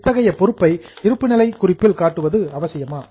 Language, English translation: Tamil, Is it necessary to show such a liability in the balance sheet